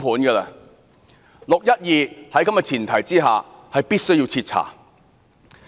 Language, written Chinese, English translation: Cantonese, 在此前提下，"六一二"事件必須要徹查。, The 12 June incident must hence be inquired thoroughly